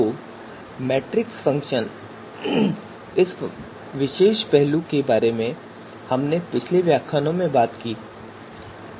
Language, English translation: Hindi, So this particular aspect of matrix function we have talked about in previous lectures as well